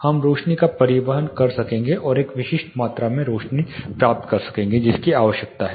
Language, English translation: Hindi, For example, we will be able to transport and get specific amount of illumination which is required